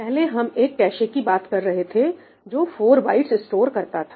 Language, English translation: Hindi, earlier we were talking about a cache, which was storing 4 bytes